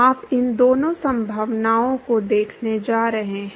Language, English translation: Hindi, You are going to look at both these possibilities